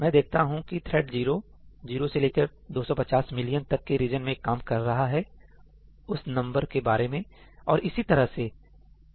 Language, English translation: Hindi, Well, now I see that thread 0 is actually working on the region from zero to two hundred and fifty million about that number, and so on